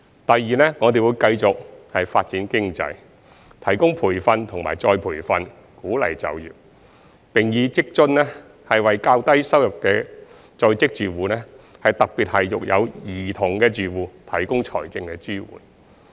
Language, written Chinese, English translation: Cantonese, 第二，我們會繼續發展經濟，提供培訓和再培訓，鼓勵就業，並以在職家庭津貼為較低收入在職住戶，特別是育有兒童的住戶，提供財政支援。, Secondly we will continue to develop our economy provide training and retraining encourage employment and provide financial support for working households with lower incomes particularly those with children through the Working Family Allowance Scheme